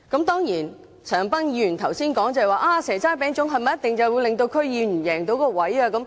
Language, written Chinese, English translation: Cantonese, 當然，陳恒鑌議員剛才說，"蛇齋餅粽"是不是一定可以令區議員贏到議席？, Mr CHAN Han - pan just now questioned if handing out seasonal delicacies could win a seat for a District Council DC member?